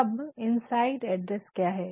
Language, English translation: Hindi, Now, what is this inside address